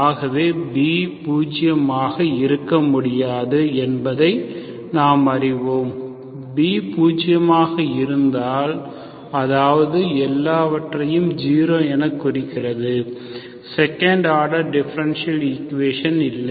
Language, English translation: Tamil, So and we know that B cannot be zero, if B is zero, that means everything, there is no second order differential equation